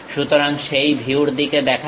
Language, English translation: Bengali, So, let us look at that view